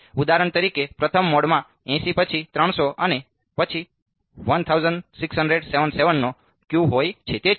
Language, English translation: Gujarati, So, for example, the first mode have the Q of 80 then 300 and then 1677